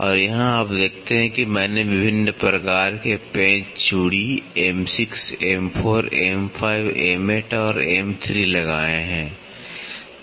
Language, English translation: Hindi, And, here you see that I have put different types of screw threads M 6, M 4, M 5, M 8 and M 3